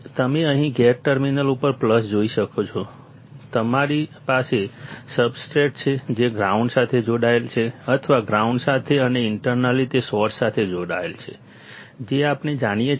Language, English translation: Gujarati, You can see here plus at gate terminal; you have substrate, which is connected to the ground or connected to the ground and also internally connected to the source that we know